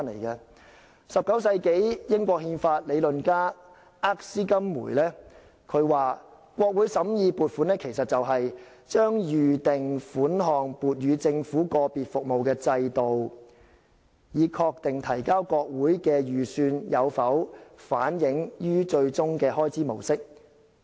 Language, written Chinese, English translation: Cantonese, 在19世紀，英國憲法理論家厄斯金梅說，國會審議的撥款其實是"把預定款項撥予政府個別服務的制度，以確定提交國會的預算有否反映於最終的開支模式。, In the 19 century constitutional theorist Erskine MAY indicated that appropriation scrutinized by the legislature was actually a system of attributing sums advanced to particular services of the Government for the purpose of establishing whether the estimates presented to Parliament were reflected in the eventual pattern of expenditure